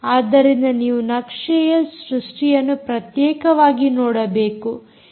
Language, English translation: Kannada, so you may have to look at map creation separately here